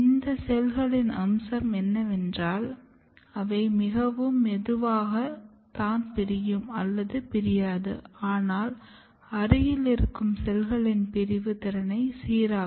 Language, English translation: Tamil, And the feature of these cells are that they themselves are very slowly dividing or almost not dividing, but they regulates the division capability of the cells which are close to them